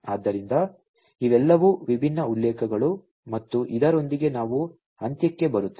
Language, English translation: Kannada, So, these are all these different references and with this we come to an end